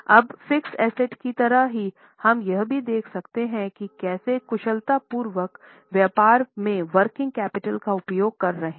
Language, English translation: Hindi, Now just like fixed assets, we can also see how efficiently business is using working capital